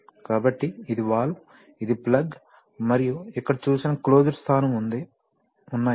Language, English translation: Telugu, So, you see that this is the valve, this is the plug and this is the closed position shown